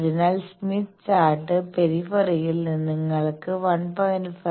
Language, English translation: Malayalam, So, in the Smith Chart periphery you can find out what is 1